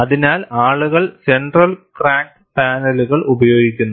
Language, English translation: Malayalam, So, people use centre cracked panels